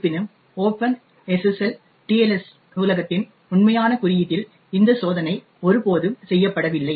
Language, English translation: Tamil, However, in the actual code of the Open SSL TLS library this check was never made